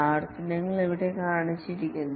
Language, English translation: Malayalam, The iterations are shown here